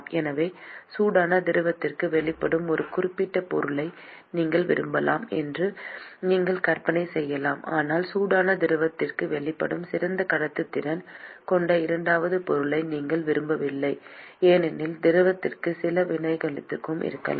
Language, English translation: Tamil, So, you could imagine that you might want a certain material which is exposed to the hot fluid, but you do not want the second material, which has better conductivity to be exposed to the hot fluid because there could be some reactivity with the fluid